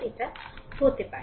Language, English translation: Bengali, It may happen